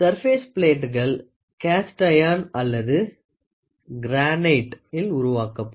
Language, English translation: Tamil, The surface plates are made either of cast iron or of granite